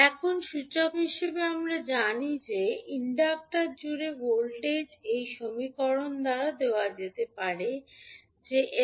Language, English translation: Bengali, Now, for inductor as we know that the voltage across inductor can be given by this equation that is l dI by dt